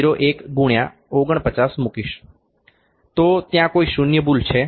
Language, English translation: Gujarati, 01 into 49; so, is there any zero error